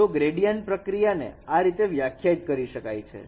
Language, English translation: Gujarati, So a gradient operation could be is defined in this way